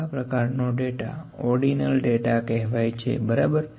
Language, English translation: Gujarati, This kind of data is known as ordinal data, ok